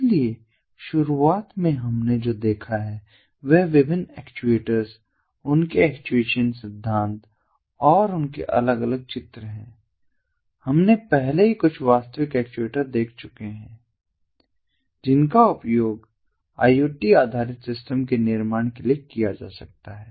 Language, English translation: Hindi, so what we have seen are different actuators, their actuation principles and different diagrams and figures of them, and at the outset we have already seen some real actuators that can be used ah for ah for building iot based systems